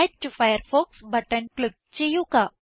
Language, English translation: Malayalam, Click on the Add to Firefox button